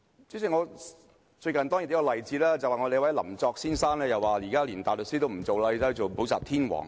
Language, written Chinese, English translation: Cantonese, 代理主席，最近有一個例子，有一位林作先生連大律師都不做，寧願做補習天王。, Deputy President let me give a recent example . A person called Mr Joseph LAM has given up his practice as a barrister to become a tutor king